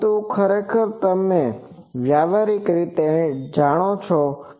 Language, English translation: Gujarati, But, actually the practically those antennas the you know